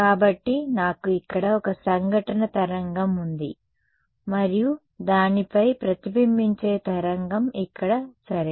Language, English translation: Telugu, So, I have an incident wave over here and a reflected wave over here ok